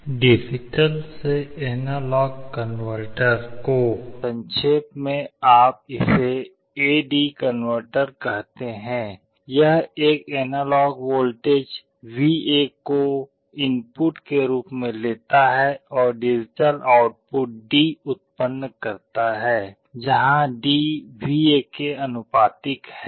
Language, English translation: Hindi, An analog to digital converter in short you call it an A/D converter, it takes an analog voltage VA as input and produces digital value at the output D, where D is proportional to VA